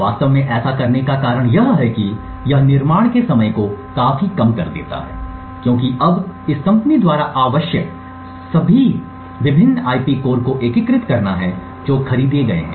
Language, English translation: Hindi, The reason this is actually done is that it drastically reduces development time because now all that is required by this company is to essentially integrate various IP cores which is purchased